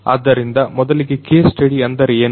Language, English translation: Kannada, So, what is a case study first of all